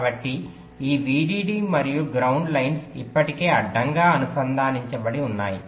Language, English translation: Telugu, so this vdd and ground lines are already connected horizontally